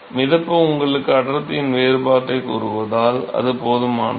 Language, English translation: Tamil, Because buoyancy tells you the difference in the density, that is good enough